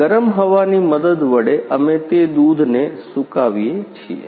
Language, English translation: Gujarati, With help of the hot air we dry them milk